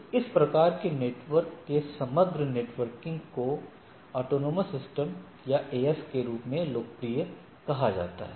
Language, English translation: Hindi, So, overall inter networking or a overall internet is of this type of autonomous systems or popularly known as AS